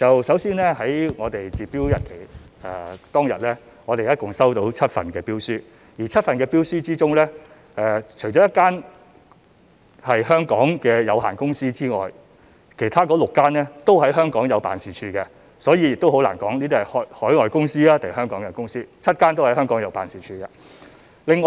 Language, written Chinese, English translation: Cantonese, 首先在截標當天，我們一共收到7份標書，當中除了1間是香港的有限公司外，其他6間均在香港設有辦事處，所以難以分辨這些是海外公司還是香港的公司 ，7 間公司均在香港設有辦事處。, First of all as at the date of close of applications we had received a total of seven bids . Of the seven bids one was made by a Hong Kong limited company the remaining bids were made by six other companies which have offices in Hong Kong . It is therefore difficult to determine whether they are Hong Kong companies or overseas companies as all of the seven companies have offices in Hong Kong